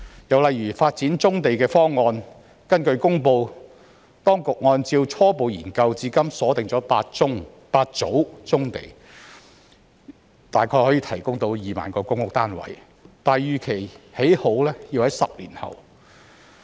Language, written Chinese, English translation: Cantonese, 又例如發展棕地的方案，根據公布，當局按照初步研究至今鎖定8組棕地，大約可提供2萬個公屋單位，但預期建成要在10年後。, Another example is the proposal of brownfield development . According to the announcement the authorities have identified eight groups of brownfields providing about 20 000 PRH units on the basis of its preliminary studies but it is expected to be completed only 10 years later